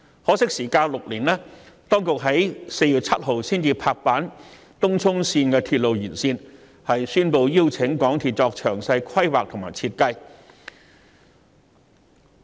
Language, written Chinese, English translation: Cantonese, 可惜相隔6年，當局在4月7日才拍板興建東涌綫延線，宣布邀請香港鐵路有限公司作詳細規劃和設計。, Regrettably six years have passed . The authorities have only made the decision to construct the Tung Chung Line Extension on 7 April and invited the MTR Corporation Limited to proceed with the detailed planning and design of the project